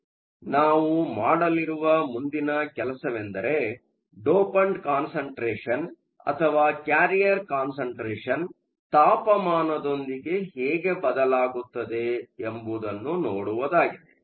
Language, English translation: Kannada, So, the next thing we are going to do is to look at how the dopant constant or how the carrier concentration changes with temperature